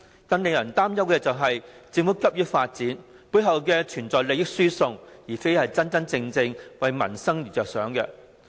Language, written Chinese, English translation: Cantonese, 更令人擔憂的是，政府急於發展，背後存在利益輸送，而非真正為民生着想。, It is even more worrying that transfer of benefits is involved behind the Governments rash development and peoples well - being is not a matter of concern